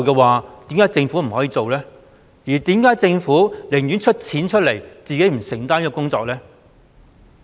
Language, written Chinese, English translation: Cantonese, 為何政府寧願提供資助卻不自行承擔這項工作呢？, Why would it rather provide financial support instead of undertaking the task itself?